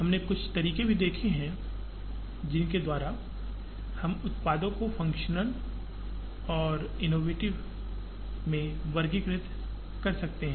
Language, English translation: Hindi, We have also seen some ways, by which we can classify products into functional and innovative